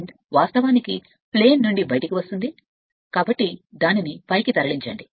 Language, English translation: Telugu, Current actually leaving the plane, or leaving the plate, so move it upward